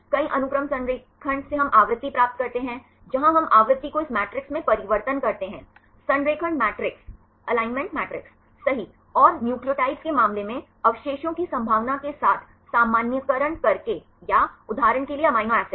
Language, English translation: Hindi, From the multiple sequence alignment we get the frequency, where we convert the frequency into this matrix, alignment matrix right, by normalizing with the probability of residues right for example, in the case of nucleotides or for example, the amino acids